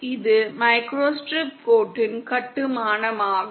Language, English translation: Tamil, This is the construction of a microstrip line